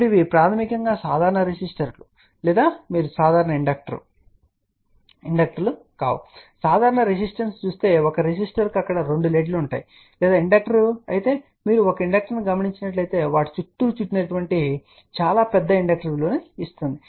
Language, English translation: Telugu, A normal resistor if you see that is you know a resistor is like this and there are two leads are there or inductor you would have seen a inductor which is wrapped around those are very large inductor values